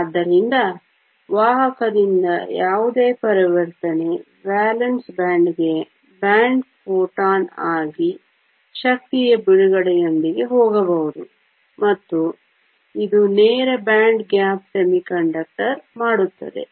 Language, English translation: Kannada, So any transition from the conduction band to the valence band can be accompanied by release of energy as a photon, and this makes it a direct band gap semiconductor